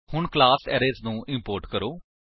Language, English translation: Punjabi, Let us now import the class Arrays